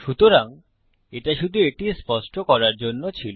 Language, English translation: Bengali, So, that was only to get clear on that